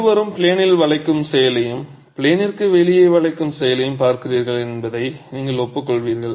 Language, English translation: Tamil, You will agree with me that both are looking at bending action in plane, bending action out of plane